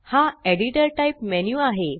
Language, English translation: Marathi, This is the editor type menu